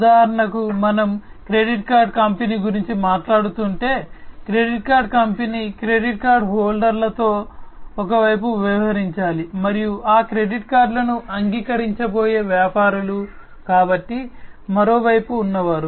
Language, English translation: Telugu, For example, if we are talking about a credit card company, so credit card company has to deal with the credit card holders on one side, and the merchants, who are going to accept those credit cards; so, those on the other side